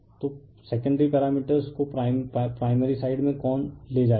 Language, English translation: Hindi, So, who will take the secondary parameter to the primary side